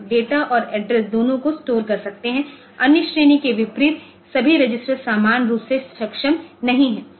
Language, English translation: Hindi, Can store both data and addresses, unlike other category well all the registers are not equally capable